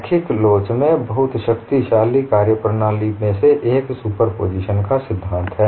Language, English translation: Hindi, In linear elasticity, one of the very powerful methodologies is principle of superposition